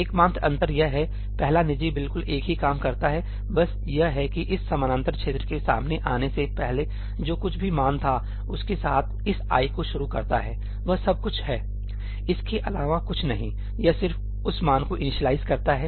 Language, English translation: Hindi, The only difference is first private does exactly the same thing just that it initializes this ëií with whatever was the value just before this parallel region is encountered; that is all, nothing else; it just initializes that value